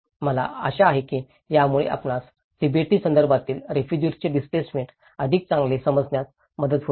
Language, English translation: Marathi, I hope this helps you a better understanding of the displacement of refugees in a Tibetan context